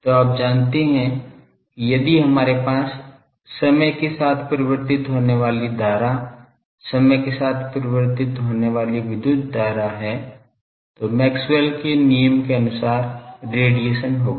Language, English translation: Hindi, So, you know that if we have a time varying current, time varying electric current, then Maxwell’s law predicted that there will be radiation